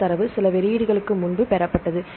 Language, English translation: Tamil, This data obtained from few releases ago